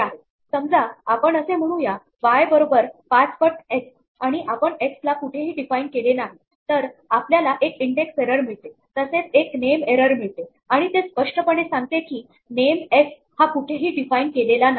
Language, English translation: Marathi, Supposing we say y is equal to 5 times x and we have not define anything for x then, it gives us an index error a name error and it says clearly that, the name x is not defined